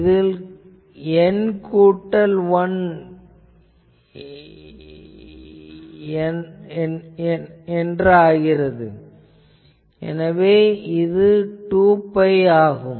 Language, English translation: Tamil, So, it is N plus 1, so it is 2 pi